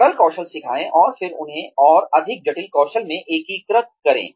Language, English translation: Hindi, Teach simpler skills, and then integrate them, into more complex skills